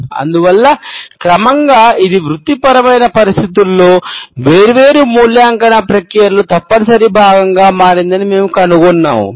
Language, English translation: Telugu, And, that is why we find that gradually it became a compulsory part of different evaluation processes in professional settings